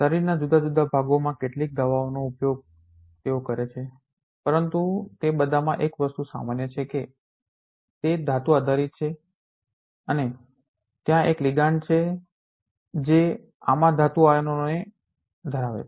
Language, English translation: Gujarati, Here in some of the drugs in different part of the body as they have used, but all of them have one thing common that they are metal based and there is a ligand which holds the metal ions into these